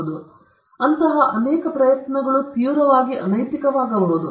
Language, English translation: Kannada, So, there are many such attempts might be severely unethical